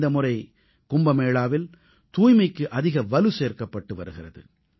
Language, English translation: Tamil, This time much emphasis is being laid on cleanliness during Kumbh